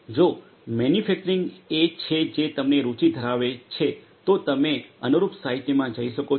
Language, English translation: Gujarati, If manufacturing is one that interests you more you could go through the corresponding literature